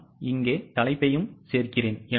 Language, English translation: Tamil, I will just add the heading here